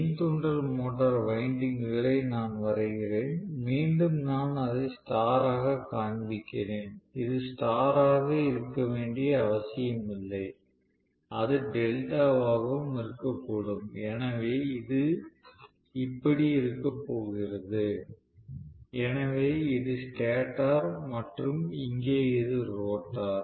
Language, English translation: Tamil, Now, I am going to have my induction motor here just to differentiate between these two, let me probably draw the induction motor winding, again I have showing it in star it need not be in star it can be in delta as well, so this how it is going to be, so this is actually the stator and here is the rotor